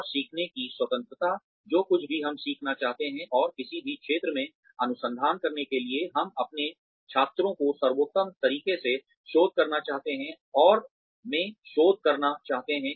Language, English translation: Hindi, And, having the freedom to learn, whatever we want to learn, and to conduct research in any field, we want to conduct research in, and to give the best to our students